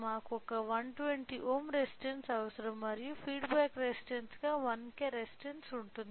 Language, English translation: Telugu, We require one 120 ohm resistance has a input and 1K resistance as a feedback resistance